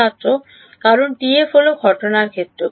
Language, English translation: Bengali, Because TF is the incident field